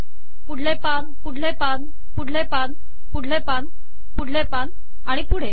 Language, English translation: Marathi, Next page, next page, next page